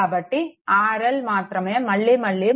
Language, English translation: Telugu, So; that means, only R L you are changing again and again